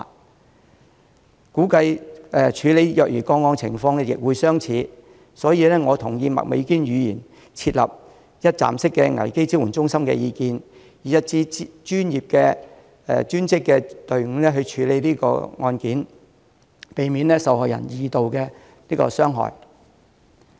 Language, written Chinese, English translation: Cantonese, 我估計處理虐兒個案的情況亦相似，所以，我同意麥美娟議員提出設立一站式危機支援中心的意見，以一支專業隊伍去處理案件，避免受害人受二次傷害。, I guess that the situation about the handling of child abuse cases is more or less the same . Hence I share Ms Alice MAKs view about setting up one - stop crisis support centres with a professional team handling the cases so as to avoid subjecting the victims to secondary victimization